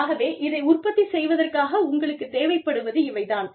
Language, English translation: Tamil, So, this is what you need, in order to produce, this